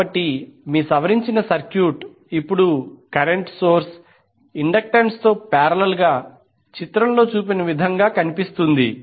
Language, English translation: Telugu, So your modified circuit will look like as shown in the figure where the current source now will be in parallel with the inductance